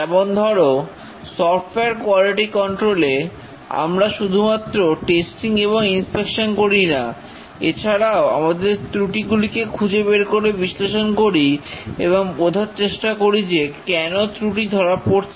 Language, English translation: Bengali, For example, in software quality control, we not only do the testing and inspection, but also we look at the defects, analyze the defects and find out why the defects are arising